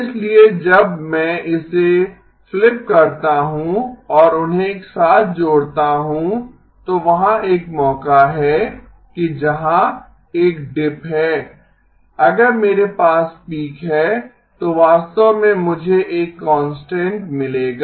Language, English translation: Hindi, So when I flip it and add them together then there is a chance that where there is a dip if I have a peak then actually I will get a constant